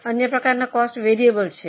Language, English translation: Gujarati, Other type of cost is variable